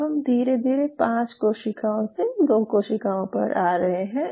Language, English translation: Hindi, So now from 5 cell types now you are slowly narrowing down to 2 different cell types